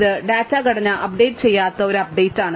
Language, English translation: Malayalam, So, this is an update which it does not update the data structure